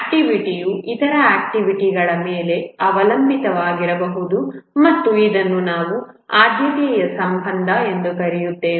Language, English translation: Kannada, An activity may be dependent on other activities and this we call as the precedence relation